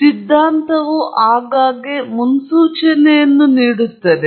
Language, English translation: Kannada, So, what theory does is often it makes a prediction